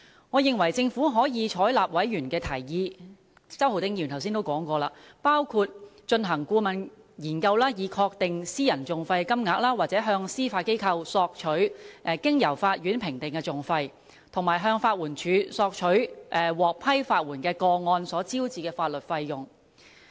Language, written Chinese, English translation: Cantonese, 我認為政府可以採納委員的提議，正如周浩鼎議員剛才所說，包括進行顧問研究，以確定私人訟費金額，或向司法機構索取經由法院評定的訟費，以及向法援署索取獲批法援的個案所招致的法律費用。, I think the Government may take on board the proposals put forth by Members as Mr Holden CHOW mentioned earlier of commissioning a consultancy study to ascertain the private litigation costs or seeking information about the costs assessed by the Court from the Judiciary and requesting that of legal costs incurred in the approved legal aid cases from LAD